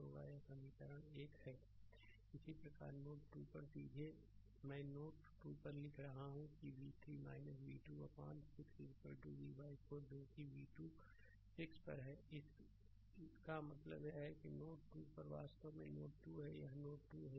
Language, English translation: Hindi, Similarly at node 2 here directly I am writing at node 2 the v 3 minus v 2 upon 6 is equal to v by 4 that is v 2 upon 6; that means, at node 2 this is actually ah this is actually node 2 right this is node 2